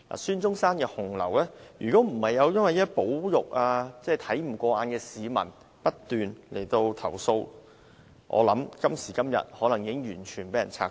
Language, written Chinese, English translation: Cantonese, 孫中山的紅樓過去不受保育，若非有看不過眼的市民不斷投訴，我想今天已被完全拆毀。, Hung Lau commemorating Dr SUN Yat - sen has not been conserved in the past and it would have been completely demolished were it not for the incessant complaints lodged by some disapproving members of the public